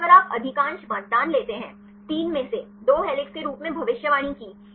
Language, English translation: Hindi, But if you take the majority of voting; out of 3; 2 predicted as helix